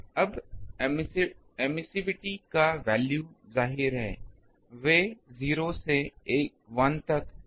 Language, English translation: Hindi, Now the emissivity values obviously, they are varying from 0 to 1